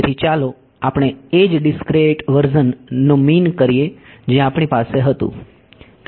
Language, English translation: Gujarati, So, let us I mean the same discrete version right which we had